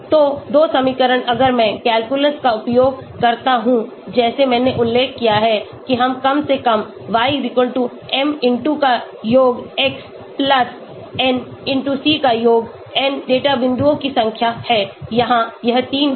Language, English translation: Hindi, So the two equations if I use calculus like I mentioned for minimization we get; summation of y=m*summation of x+n*c, n is the number of data points, here it will be 3